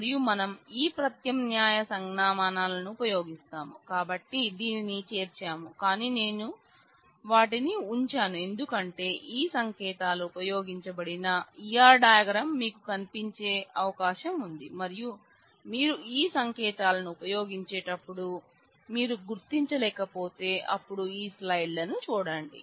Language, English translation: Telugu, And we will I mean we have included this not because we will use these alternate notations, but I have put them because it is possible that you come across some E R diagram where these notations are used and if you come across and you are not able to identify then please refer to this slides